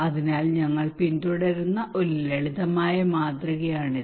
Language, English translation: Malayalam, So that is a simple model that we follow